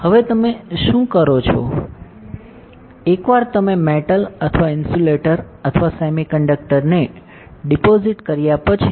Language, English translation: Gujarati, Now, what you will do, once you deposit a metal or insulator or semiconductor